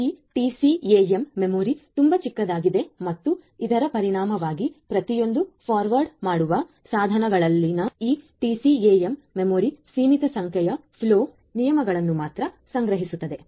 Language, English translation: Kannada, Now, this TCAM memory is very small and consequently this TCAM memory in each of these forwarding devices will store only a limited number of flow rules